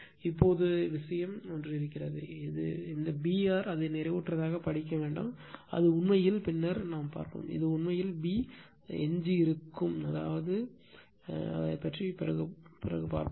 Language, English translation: Tamil, Now, and one thing is there, this B r do not read at it as saturated right, it is actually later we will see, it is actually B residual right, so anyway we will come to that